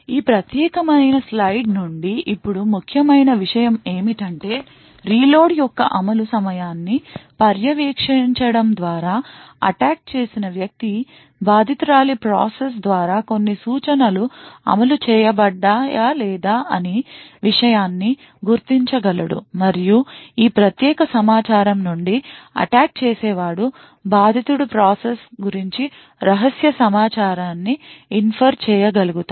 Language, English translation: Telugu, Now the important take away from this particular slide is the fact that by monitoring the execution time of the reload, the attacker would be able to identify whether certain instructions were executed by the victim process or not, and from this particular information the attacker would then be able to infer secret information about that victim process